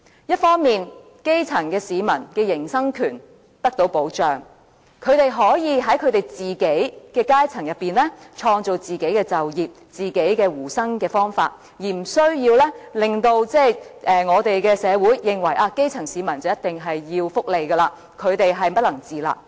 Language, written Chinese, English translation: Cantonese, 一方面，基層市民的營生權得到保障，他們可以在自己的階層中創造就業和糊口方法，無須令社會認為基層市民便一定要接受福利援助，不能自立。, On the one hand the right of grass - root people to earn a living can be protected and they can then create jobs and identify means of subsisting within their own strata . In this way society will not think that grass - root people must depend on welfare assistance and cannot stand on their own feet